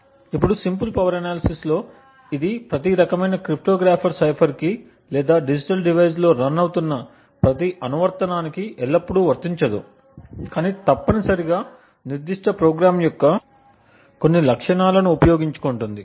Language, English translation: Telugu, Now in the simple power analysis it may not be always applicable to every type of cryptographic cipher or every application that is running on digital device, but essentially makes use of certain attributes of the particular program